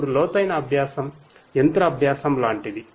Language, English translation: Telugu, Now, deep learning is like machine learning